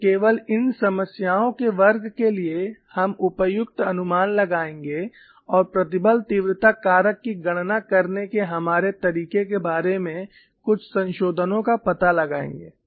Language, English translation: Hindi, So, only for these class of problems we will make suitable approximations and find out certain modifications to our way of calculating stress intensity factor